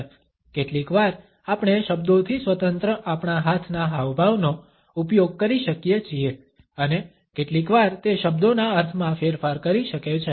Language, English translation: Gujarati, Sometimes we can use our hand gestures independent of words and sometimes they may modify the meaning of words